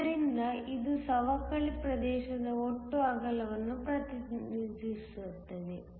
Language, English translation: Kannada, So, this represents the total width of the depletion region